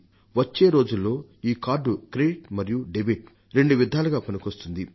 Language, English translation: Telugu, In the coming days this card is going to be useful as both a credit and a debit card